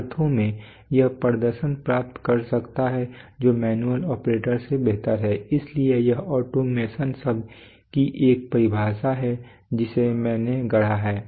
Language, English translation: Hindi, So in these senses it can achieve performance which is superior to manual operation so these, this is, the this is a definition of the word automation which I have coined